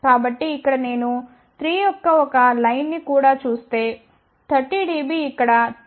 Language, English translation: Telugu, So, here if I just look at even a line of 3 you can see that 30 dB will be somewhere here which is coming at 2